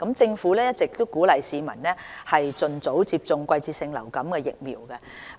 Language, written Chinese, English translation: Cantonese, 政府一直鼓勵市民盡早接種季節性流感疫苗。, The Government has been encouraging the public to receive seasonal influenza vaccination as early as possible